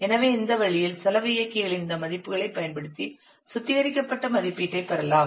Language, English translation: Tamil, So in this way you can use the values of the cost multipliers to find out the refined value of the refined estimate of the effort